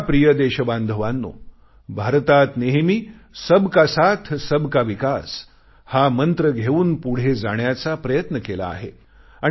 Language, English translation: Marathi, My dear countrymen, India has always advanced on the path of progress in the spirit of Sabka Saath, Sabka Vikas… inclusive development for all